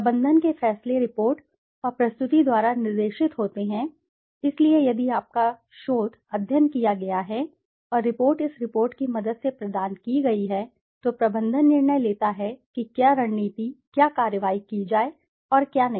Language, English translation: Hindi, Management decisions are guided by the report and the presentation so if your research study has been done and the report has been provided with the help of this report the management decides what strategy, what actions to take and not to take